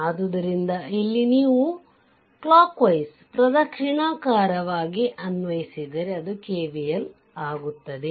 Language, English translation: Kannada, So, here if you apply clockwise you take that is your KVL